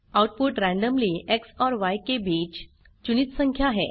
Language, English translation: Hindi, Output is randomly chosen number between X and Y